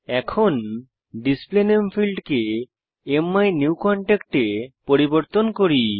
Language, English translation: Bengali, Now, lets change the Field Display Name to MMyNewContact